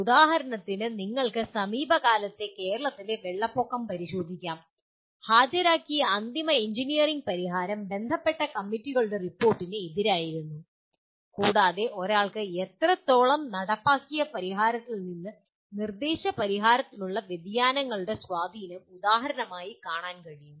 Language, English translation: Malayalam, That is one can inspect for example you can look at the recent Kerala floods and the kind of final engineering solution that is produced was against the report of the concerned committees and one can see the amount of for example the impact of the deviations from of implemented solution to the suggested solution